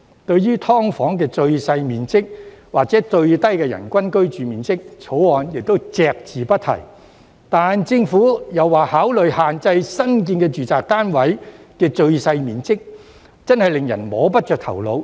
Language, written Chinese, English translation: Cantonese, 對於"劏房"的最小面積或最低人均居住面積，《條例草案》亦隻字不提，但政府說會考慮限制新建住宅單位的最小面積，真的令人摸不着頭腦。, The Bill has made no mention of the minimum size or minimum average per - person living floor area of SDUs but the Government says it will consider regulating the minimum size of new residential units . I am really puzzled